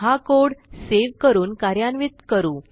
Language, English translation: Marathi, Now, let us save and run this code